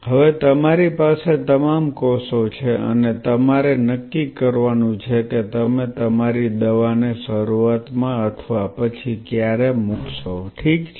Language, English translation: Gujarati, Now you have all the cells and you have to decide when are you going to put your drug in the beginning or later or whatever ok